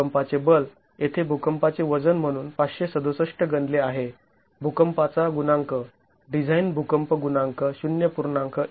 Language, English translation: Marathi, The seismic force here seismic weight is calculated as 567 our seismic coefficient design seismic coefficient is 0